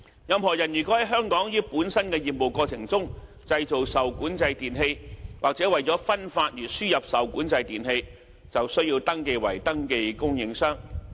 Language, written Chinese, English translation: Cantonese, 任何人如在香港於本身業務過程中製造受管制電器，或為了分發而輸入受管制電器，便須登記為登記供應商。, Anyone who in the course of his business manufactures regulated electrical equipment REE in Hong Kong or imports REE into Hong Kong for distribution is required to register as a registered supplier